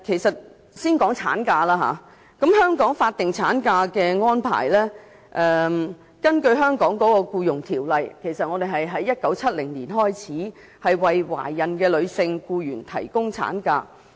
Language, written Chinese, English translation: Cantonese, 先談產假，香港《僱傭條例》在1970年開始向懷孕女性僱員提供法定產假。, The statutory maternity leave was first introduced under the Employment Ordinance in 1970